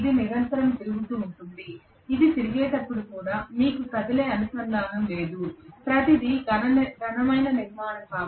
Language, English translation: Telugu, It will be continuously rotating even when it is rotating you are not having any moving contact everything is a solid structure